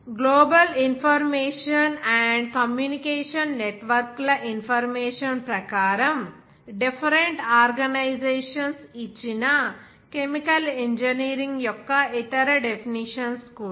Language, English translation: Telugu, Even other definitions of the chemical engineering given by different organizations like in that as per information highway that Global Information and Communication networks